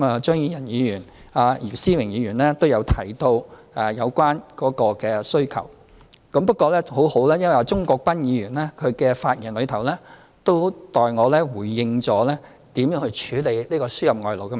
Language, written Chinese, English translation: Cantonese, 張宇人議員和姚思榮議員均提到有關勞工的需求，不過幸好鍾國斌議員的發言已代我回應了如何處理這個輸入外勞的問題。, Both Mr Tommy CHEUNG and Mr YIU Si - wing touched upon the demand for labour . It is fortunate that Mr CHUNG Kwok - pans speech has already responded on my behalf about how to handle this importation of labour issue